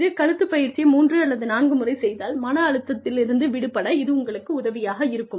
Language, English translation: Tamil, May be, doing this neck exercise, three or four times, will help you, relieve the stress